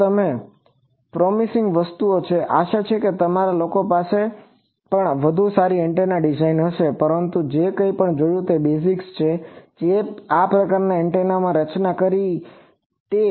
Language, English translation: Gujarati, So, these are promising things, hopefully your people also will have better search antenna design, but basics whatever we have seen that absolute designed these type of antennas